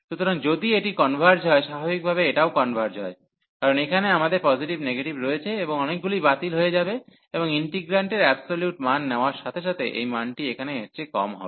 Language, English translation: Bengali, So, if this converges naturally this converges, because here we have positive negative and many this cancelation will come and this value will be less than the value here with while taking the absolute value of the integrant